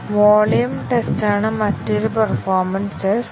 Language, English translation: Malayalam, Another performance test is the volume test